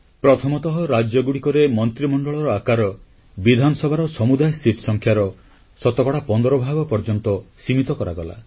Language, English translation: Odia, First one is that the size of the cabinet in states was restricted to 15% of the total seats in the state Assembly